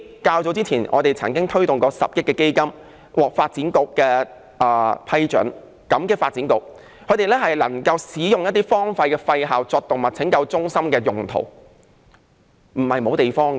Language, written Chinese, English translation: Cantonese, 較早前，我們曾經推動10億元基金，獲發展局批准，感激發展局能夠批准使用一些荒廢校舍作為動物拯救中心，證明不是沒有地方。, Earlier we proposed the establishment of a 1 billion fund and the proposal was approved by the Development Bureau . I am grateful that the Bureau has approved the use of abandoned school premises as animal rescue centres . This proves that not having adequate space is untenable